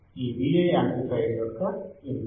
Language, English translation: Telugu, This Vi is the input to the amplifier